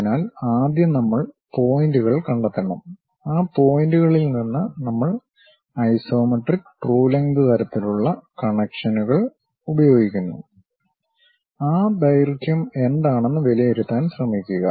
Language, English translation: Malayalam, So, first we have to locate the points, from those points we use the relations isometric true length kind of connections; then try to evaluate what might be that length